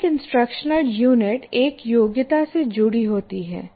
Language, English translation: Hindi, So one instructional unit is associated with one competency